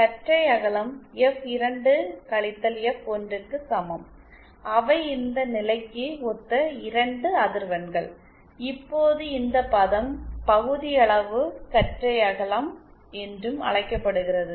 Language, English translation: Tamil, The bandwidth is equal to F2 F1 which are the 2 frequencies corresponding to this condition, now this term is also known as fractional bandwidth